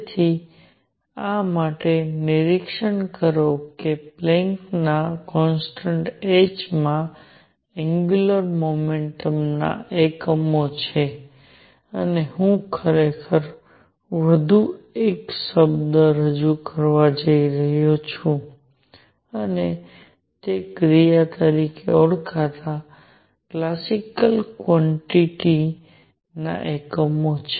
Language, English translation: Gujarati, So, for this observe that the Planck’s constant h has units of angular momentum, and I am actually going to introduce one more word and that is it has units of a classical quantity called action